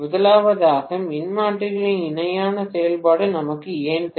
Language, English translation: Tamil, First of all, why do we need parallel operation of transformers at all